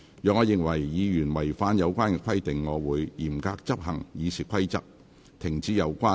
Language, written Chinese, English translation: Cantonese, 若我認為議員違反有關規定，我會嚴格執行《議事規則》，停止有關議員發言。, If I consider that a Member has violated the relevant stipulations I will strictly enforce the Rules of Procedure by directing him to discontinue his speech